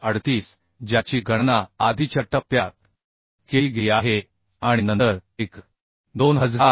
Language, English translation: Marathi, 2338 which has been calculated in the earlier step then 1